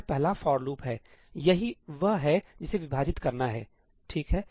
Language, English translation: Hindi, This is the first for loop, that is what it is going to divide, right